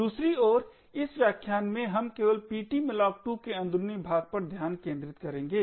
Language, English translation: Hindi, In this lecture on the other hand we will be only focusing on the internals of ptmalloc2